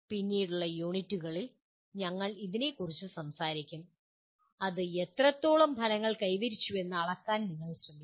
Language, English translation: Malayalam, We will talk about that in later units that is you try to measure to what extent outcomes have been attained